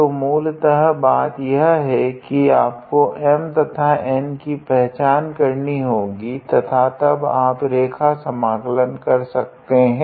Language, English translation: Hindi, So, what you do you basically identify your M and N and then you evaluate the line integral